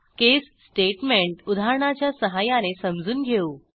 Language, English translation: Marathi, Let us understand case statement with an example